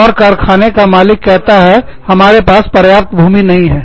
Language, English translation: Hindi, And, the factory owners say, well, we do not have enough land